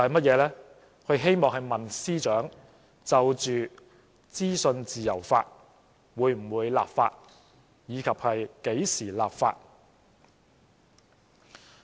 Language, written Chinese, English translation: Cantonese, 他希望問司長，就着資訊自由法，會否立法及何時立法。, He hopes to ask the Secretary for Justice whether and when legislation on freedom of information will be enacted